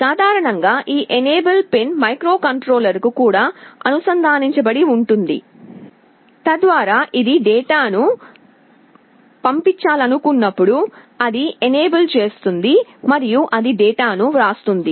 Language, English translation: Telugu, Typically this enable pin is also connected to the microcontroller, so that whenever it wants to send the data, it enables it and then it writes the data